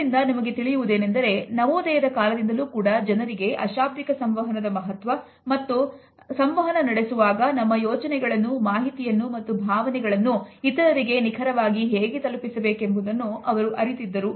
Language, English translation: Kannada, So, we can see that as early as the renaissance time people were aware of the significance of body language and what exactly was their role in communicating ideas, information and emotions to others